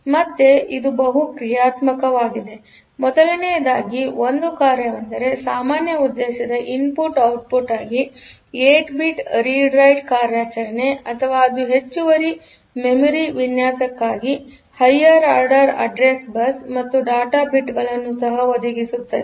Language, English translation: Kannada, So, again this is multi functional first of all; one function is 8 bit read write operation for general purpose input output or the it also provides the higher address bits for the external memory design